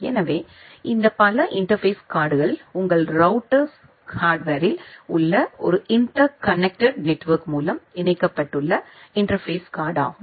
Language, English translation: Tamil, So, this network interface cards are the network interface card which are connected through a interconnection network inside your router hardware